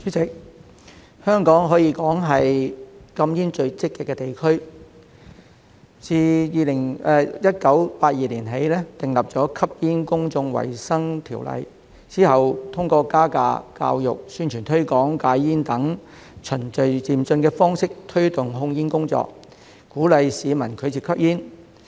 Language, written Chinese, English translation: Cantonese, 主席，香港可說是禁煙最積極的地區，自1982年起訂立《吸煙條例》，之後通過加價、教育、宣傳推廣戒煙等循序漸進的方式推動控煙工作，鼓勵市民拒絕吸煙。, President Hong Kong can be said to be most proactive in banning smoking . Since the enactment of the Smoking Ordinance in 1982 tobacco control has been promoted progressively through price increases education and publicity campaigns for smoking cessation in order to encourage the public to refuse smoking